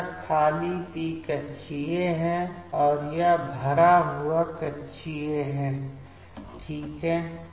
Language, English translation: Hindi, So, this is the empty p orbital, and this is the filled π orbital fine